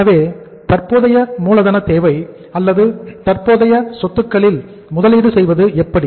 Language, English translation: Tamil, So how to work out the working capital requirement or investment in the current assets